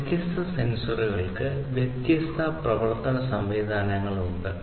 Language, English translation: Malayalam, These sensors have their own different ways of operating